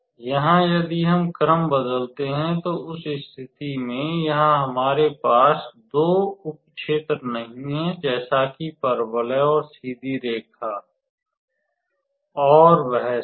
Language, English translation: Hindi, So, if we change the order, then in that case since here we do not have two sub regions like parabola and straight line and all that